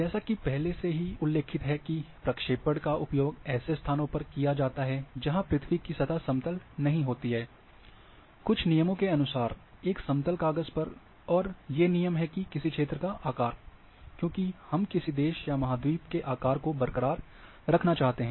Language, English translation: Hindi, Now as the as mentioned earlier that a projections are used to display locations on curved surface of the earth, on a flat sheet according to some set of rules, and these rules are the shape of a region, because we want to keep intact to the shape of the country or continent